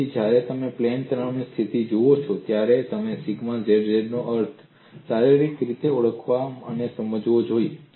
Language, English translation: Gujarati, So, when you look at the plane strain situation, you should recognize and understand physically the meaning of sigma zz